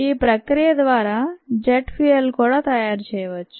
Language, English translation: Telugu, even jet fuel can be made from this process